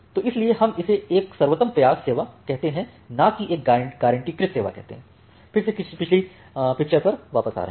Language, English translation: Hindi, So, you can and why we call it as a best effort service and not a guaranteed service, again coming back to the previous picture